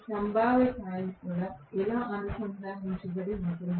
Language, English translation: Telugu, So, the potential coil is connected like this